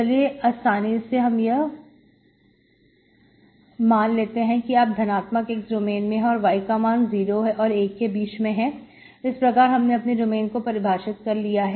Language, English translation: Hindi, Let us say we are only with, for simplicity you are in the domain x positive and y is actually between 0 and 1, okay, in this domain